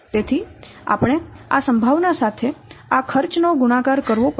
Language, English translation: Gujarati, So, we have to multiply this cost along with this probability